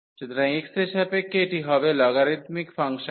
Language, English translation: Bengali, So, with respect to x this will be the logarithmic functions